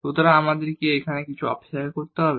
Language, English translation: Bengali, So, do we need to wait a little bit here